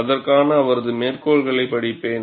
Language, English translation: Tamil, I will read his quote for that